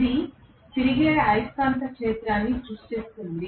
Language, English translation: Telugu, This creates a revolving magnetic field